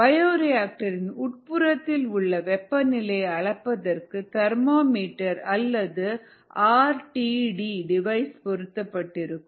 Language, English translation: Tamil, there is a thermometer or an r t d device that measures the temperature of the bioreactor contents